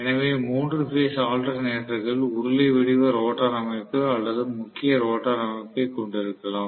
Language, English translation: Tamil, So if three phase alternators can have cylindrical rotor structure or salient rotor structure